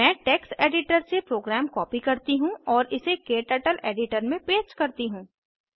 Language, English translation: Hindi, Let me copy the program from the text editor and paste it into KTurtle editor